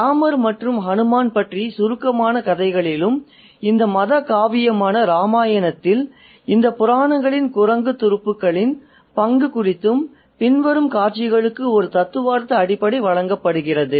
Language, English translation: Tamil, So, a theoretical underpinning for the following set of scenes is offered in the brief narrative about Lord Rama and General Hanuman and the role of the monkey troops in this mythic, in this religious epic, the Ramayana